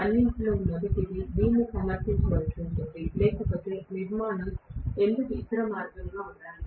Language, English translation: Telugu, First of all, will have to kind of justify this, otherwise, why should the structure be the other way round